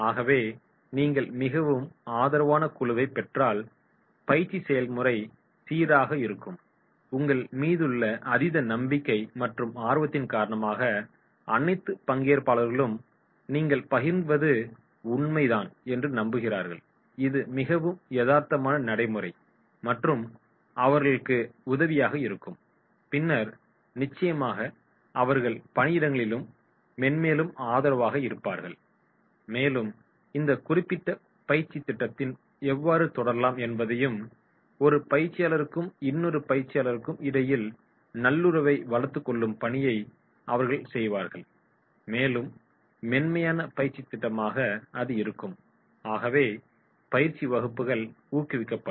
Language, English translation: Tamil, So if you get very very supportive group the training process will be smooth, all the trainees who are very keen to learn that trust in you, they believe that is what you are sharing that is more realistic, practical and will be helpful on their workplace then definitely they will be more and more supportive and they will do the task which will help them that is how to proceed for this particular training program and the rapport will be developed between the trainer and the trainees and there will be smooth training program is there so therefore, training courses will be promoted